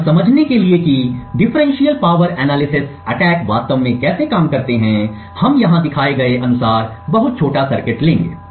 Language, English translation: Hindi, To understand how differential power analysis attacks actually work, we will take a very small circuit as shown over here